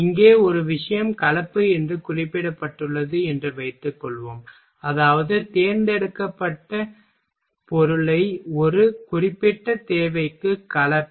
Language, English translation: Tamil, Suppose that here one thing is mentioned that is composite; it means selected candidate is composite for a particular requirement